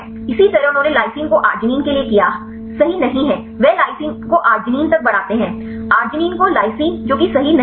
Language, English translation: Hindi, Likewise they did the lysine to arginine, not right, they increase lysine to arginine, arginine to lysine not right which one